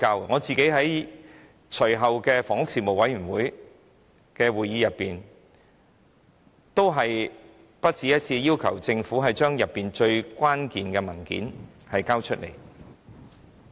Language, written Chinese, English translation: Cantonese, 我個人在隨後的房屋事務委員會會議席上，也不只一次地要求政府交出事件當中最關鍵的文件。, In the subsequent meetings of the Panel on Housing more than once had I personally requested the Government to produce the most critical documents of the incident